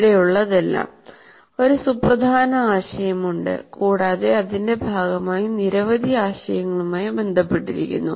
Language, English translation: Malayalam, All that is here is there is a major idea and there are several ideas associated with as a part of it